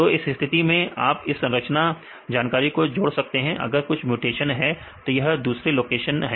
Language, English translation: Hindi, Now in this case you can add this sequence information right if there are same mutations that are different locations right